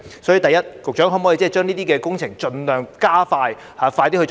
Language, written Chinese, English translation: Cantonese, 所以，首先，局長可否把這些工程盡量加快呢？, Therefore first of all can the Secretary expedite these works as far as possible?